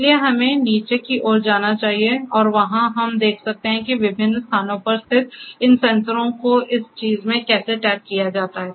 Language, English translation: Hindi, So, let us go downstairs and there we can see that how these sensors located at different places are tagged in this thing